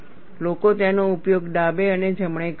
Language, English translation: Gujarati, People use it left and right